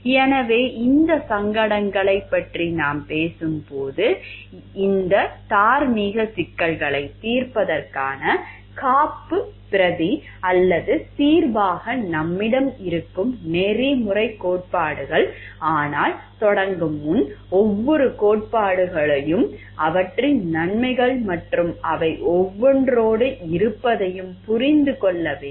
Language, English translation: Tamil, So, when we were talking of these dilemmas, then the ethical theories that we have as a backup support are a solution for resolving of this moral problems but before we begin we need to understand like each of the theories have their benefits pros and each of them have their limitations also